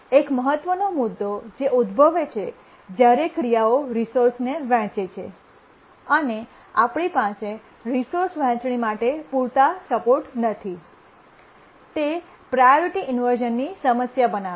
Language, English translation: Gujarati, One of the crucial issue that arises when tasks share resources and we don't have adequate support for resource sharing is a priority inversion problem